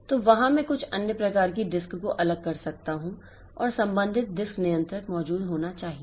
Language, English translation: Hindi, So, I can have separate some other type of disk and the corresponding disk controller should be present